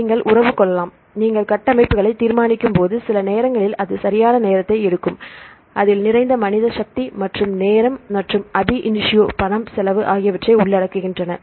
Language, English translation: Tamil, So, you can have the relationship; when you determine the structures, it takes time right at times it involves lot of manpower and the time and the money right its cost, cost effect